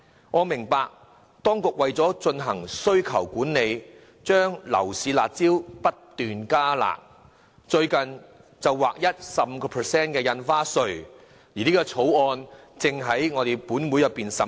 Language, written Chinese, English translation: Cantonese, 我明白當局為了進行需求管理，將樓市"辣招"不斷"加辣"，最近更劃一徵收 15% 印花稅，相關的條例草案正在本會進行審議。, I understand that in order to exercise demand management the Government has made continuous efforts to introduce new rounds of harsh measures that are even harsher and in a bill currently scrutinized by this Council it is even proposed that stamp duties should be payable at a rate of 15 % across the board